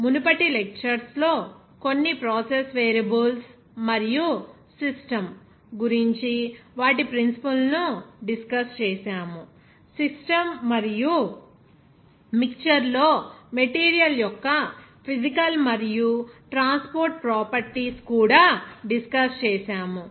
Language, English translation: Telugu, We have discussed in the previous lectures some process variables and their principles about a system, even physical and transport properties of material in system and mixtures